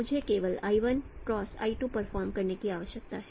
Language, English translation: Hindi, So what I need to do I need to perform only L1 cross L2